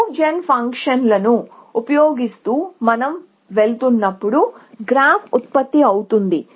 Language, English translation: Telugu, The graph is generated as we go along using the move gen function